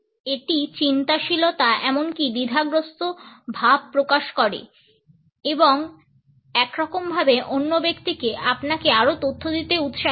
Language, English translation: Bengali, It conveys thoughtfulness, even hesitation and somehow encourages the other person to give you more information